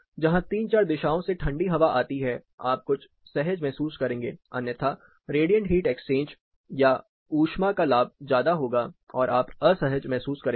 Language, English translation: Hindi, Where you know you have throw from three to four directions then you are kind of getting neutral with it otherwise the radiant heat exchange heat gain will be more prominent and you will be still feeling uncomfortable